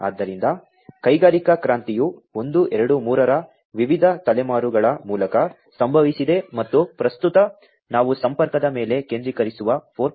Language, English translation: Kannada, So, industrial revolution has happened through different generations of 1, 2, 3, and at present we are talking about 4